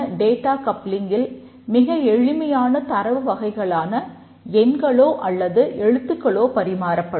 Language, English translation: Tamil, In simple data coupling only simple data items like integer or character etc